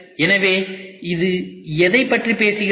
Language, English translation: Tamil, So, what is this all talking about